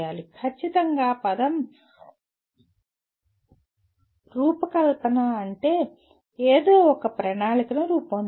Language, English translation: Telugu, Design strictly the word means creating a plan to make something